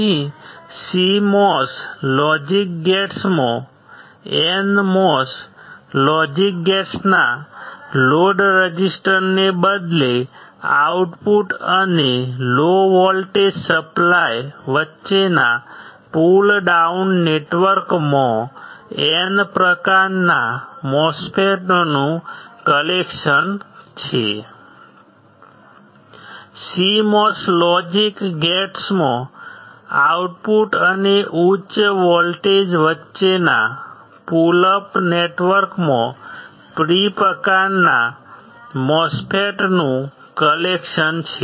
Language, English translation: Gujarati, Here in CMOS logic gates a collection of N type MOSFETs is arranged in a pull down network, between output and the low voltage supply right instead of load resistor of NMOS logic gates, CMOS logic gates have a collection of P type MOSFETs in a pull up network between output and higher voltage